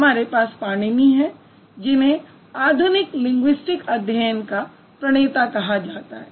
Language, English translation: Hindi, And we have Panini, who is considered to be the founder of modern linguistic studies